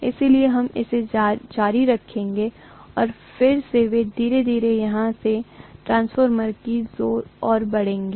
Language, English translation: Hindi, So we will continue with this and then they will slowly move onto transformers from here, okay